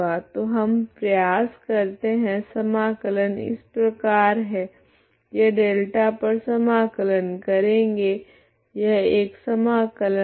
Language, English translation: Hindi, So we will try to so any integration goes like this integration over delta is as an itinerary integral is this